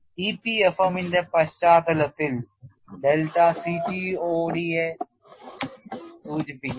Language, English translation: Malayalam, In the context of EPFM, delta refers to CTOD